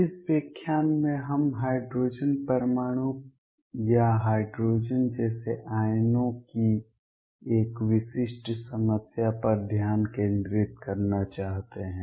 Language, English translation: Hindi, In this lecture we want to focus on a specific problem of the hydrogen atom or hydrogen like ions